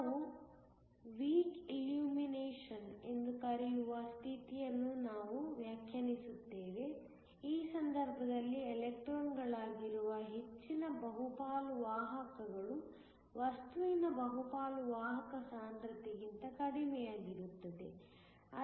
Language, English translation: Kannada, We define a condition, which we call Week illumination, in which case the excess majority carriers which is electrons is less than the carrier concentration in the bulk of the material